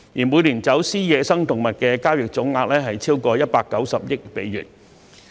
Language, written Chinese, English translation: Cantonese, 每年走私野生動物的交易總額超過190億美元。, The smuggling of wild animals is now a trade worth over US19 billion annually